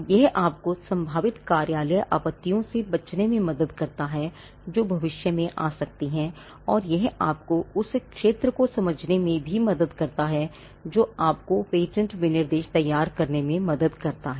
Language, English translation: Hindi, It helps you to avoid potential office objections which can come in the future, and also it helps you to understand the field which helps you to prepare the patent specification